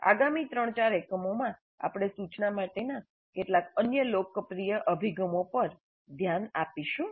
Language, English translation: Gujarati, In the next three, four units, we look at some other popular approaches to the instruction